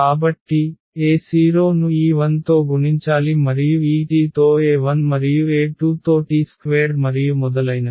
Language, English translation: Telugu, So, a 0 with be multiplied by this 1 and this a 1 with this t here a 2 with t square and so on